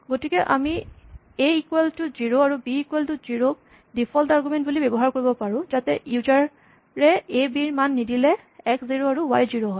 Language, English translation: Assamese, Then we can use a equal to 0, and b equal to 0 as default arguments, so that if the user does not provide values for a and b, then x will be set to 0 and y will be set to 0